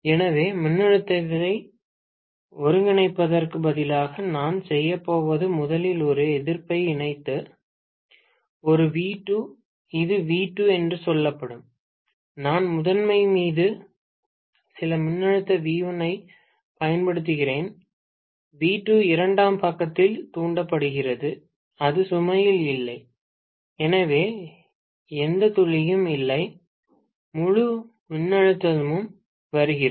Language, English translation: Tamil, Now, the current, the voltage is V2, let me say it is V2, I am applying some voltage V1 on the primary side, V2 is induced on the secondary side and it is on no load, so hardly there is any drop, the entire voltage is coming up, okay